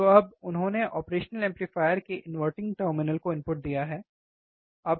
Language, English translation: Hindi, So now, he has given the input to the inverting terminal of the operational amplifier, right